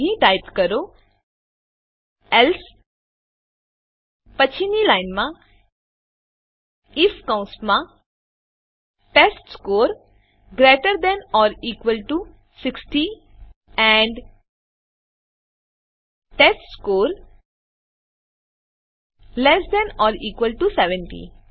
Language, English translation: Gujarati, So type here, Else, Next line if within brackets testScore greater than or equal to 60 and testScore less than or equal to 70